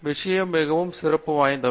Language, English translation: Tamil, Things have become very, very special